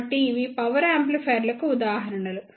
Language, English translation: Telugu, So, these are the examples of the power amplifiers